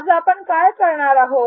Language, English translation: Marathi, What are we going to do today